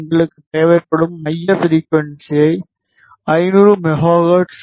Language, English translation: Tamil, Centre frequency we require is 500 megahertz